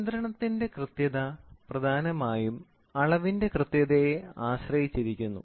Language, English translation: Malayalam, The accuracy of control is essentially dependent on the accuracy of the measurement